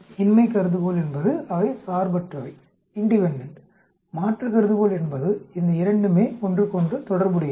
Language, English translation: Tamil, The null hypothesis they are independent, alternatives these two's are related with each other